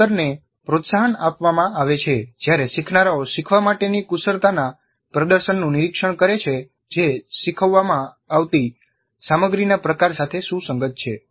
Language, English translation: Gujarati, Learning is promoted when learners observe a demonstration of the skills to be learned that is consistent with the type of content being taught